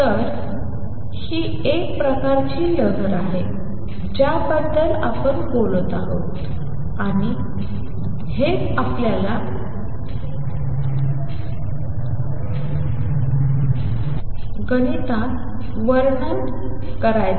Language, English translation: Marathi, So, this is a kind of waves we are talking about and this is what we want to describe mathematically